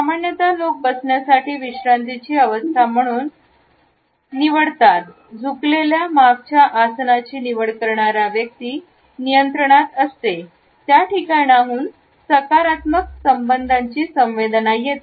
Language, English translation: Marathi, Normally people opt for a relax position, a leaned back posture which indicates that the person is in control, has a positive association with the place